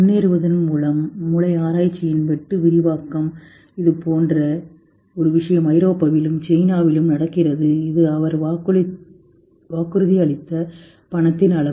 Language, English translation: Tamil, Brain research through advancing and a similar thing is going on in China, in Europe and this is the amount of money he has promised